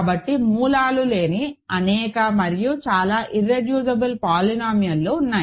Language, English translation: Telugu, These are the only possible degrees for irreducible polynomials